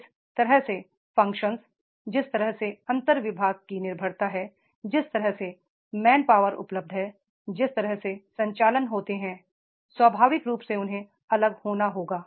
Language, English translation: Hindi, The way the functions, the way the dependency of the inter department is there, the way the main power is available, the way the operations are there, naturally they have to be different